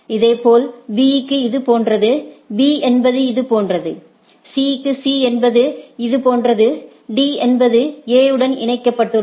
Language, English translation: Tamil, Similarly, for B is like this, for B is something like this, C for C is something like this, D is only it is connected to A